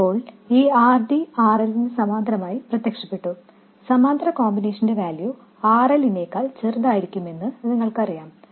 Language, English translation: Malayalam, Now this RD has appeared in parallel with RL and you know that the parallel combination is going to be smaller than RL